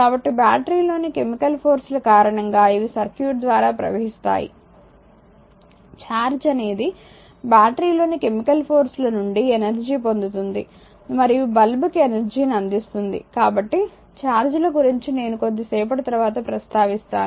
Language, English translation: Telugu, So, will flow through the circuit due to the chemical forces in the battery the charge gains energy from chemicals in the battery and delivers energy to the lamp right; So, these negating charge I will come to little bit later